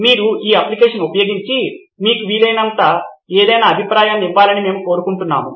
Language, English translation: Telugu, We would like you to go through this app and give any feedback if you can